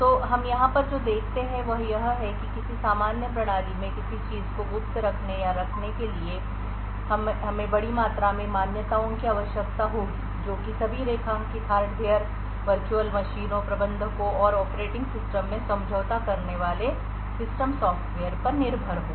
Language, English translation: Hindi, So what we see over here is that in order to assume or keep something secret in a normal system we would require a huge amount of assumptions that all the underlined hardware the system software compromising of the virtual machines, managers and the operating system are all trusted